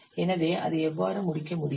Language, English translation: Tamil, So how you can complete it